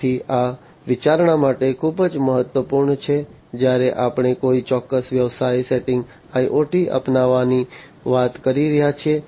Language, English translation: Gujarati, So, this is very important for consideration, when we are talking about the adoption of IoT in a particular business setting